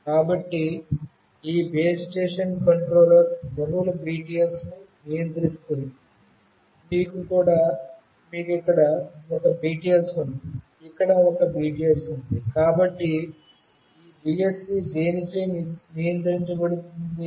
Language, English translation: Telugu, So, this base station controller controls multiple BTS, you have one BTS here, one BTS here, so which is controlled by this BSC you can see